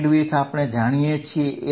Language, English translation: Gujarati, Bandwidths we know